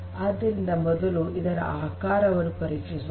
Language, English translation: Kannada, So, first you check the shape